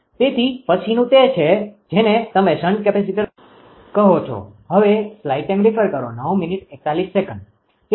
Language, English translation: Gujarati, So, next is your what you call the shunt capacitor